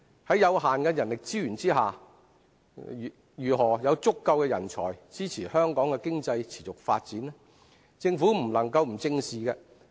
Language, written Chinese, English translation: Cantonese, 在有限的人力資源下，如何有足夠人才支持香港經濟持續發展，政府不能不加以正視。, Given the limited human resources how can we have enough talents to sustain Hong Kongs economic development? . The government has to face this issue